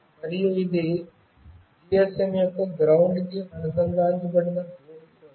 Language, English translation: Telugu, And this is for the ground, which is connected to the ground of the GSM